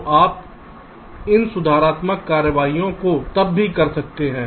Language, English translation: Hindi, so some corrective actions need to be taken